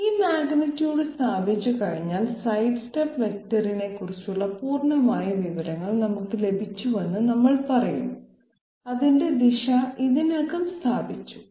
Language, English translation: Malayalam, This magnitude once we establish, we will say that we have got the complete information about the sidestep vector, its direction is already established